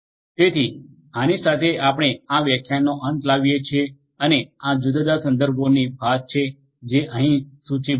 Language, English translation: Gujarati, So, with this we come to an end and this is the assortment of different references that is listed for here